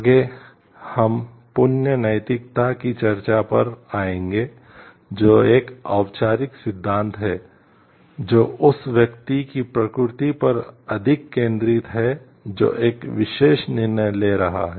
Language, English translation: Hindi, Next, we will come to the discussion of virtue ethics, which is the theory which is focused more on the nature of the person who is making a particular decision